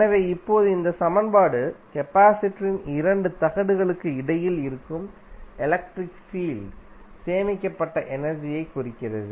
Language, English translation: Tamil, So, now this equation represents energy stored in the electric field that exists between the 2 plates of the capacitor